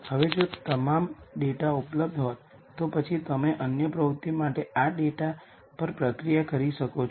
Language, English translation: Gujarati, Now if all the data were available then you could process this data for other activities